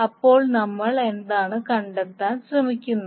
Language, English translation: Malayalam, So what we will try to find out